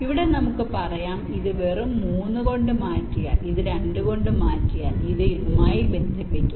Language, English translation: Malayalam, lets say, if we just replace this by three and this by two, then this will be connected to this